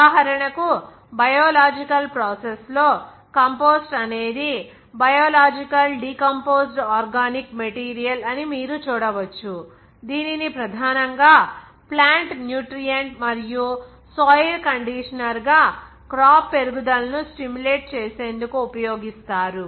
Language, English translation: Telugu, For example, in the biological process, you can see that compost is a biological decomposed organic material that is primarily used as a plant nutrient and soil conditioner to stimulate crop growth